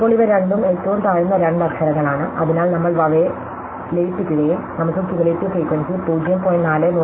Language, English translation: Malayalam, Now, these two are a two lowest letters, so we merge them and we get a new letter c, d, e of cumulative frequency 0